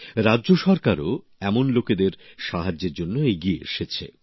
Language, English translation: Bengali, The state government has also come forward to help such people